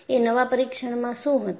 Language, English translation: Gujarati, And what was the new test